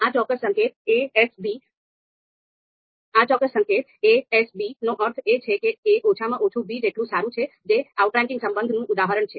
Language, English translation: Gujarati, Then this particular you know notation means ‘a S b’ means that a is at least as good as b, this is a an example of an outranking relation